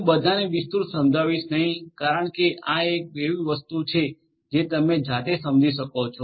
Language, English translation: Gujarati, I am not going to elaborate all of this because this is something that you will understand on your own